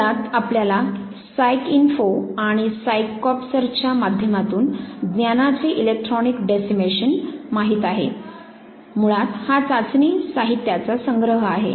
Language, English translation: Marathi, So, basically you know the electronic decimation of knowledge through PsycINFO and PsyCorps basically collection of the test materials